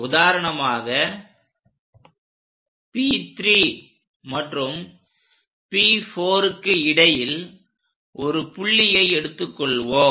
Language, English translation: Tamil, For example, if we are going to pick some point here in between P3 and P4